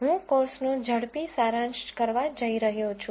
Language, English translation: Gujarati, I am going to do a quick summary of the course